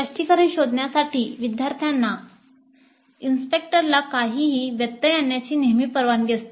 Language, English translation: Marathi, Students were always allowed to interrupt the instructor to seek clarification